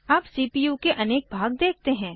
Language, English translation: Hindi, Now, let us see the various parts of the CPU